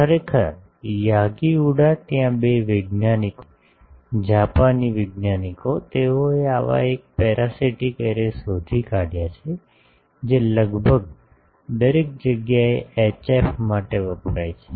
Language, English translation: Gujarati, Actually, Yagi Uda there are two scientists, Japanese scientists, they found out one such parasitic array, which is almost, everywhere used for HF